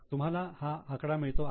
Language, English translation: Marathi, Are you getting this figure